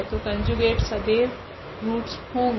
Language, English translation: Hindi, So, the conjugate will be always there as the root